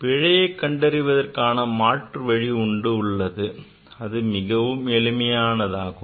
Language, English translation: Tamil, There is an alternative way to find the error this is basically it is very simple